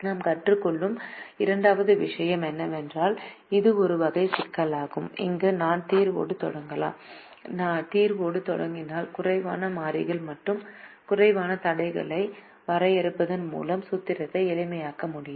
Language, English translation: Tamil, second thing that we learn is that this is a type of a problem where we could start with the solution, and if we start with the solution we can actually make the formulation simpler by defining fewer variables and fewer constraints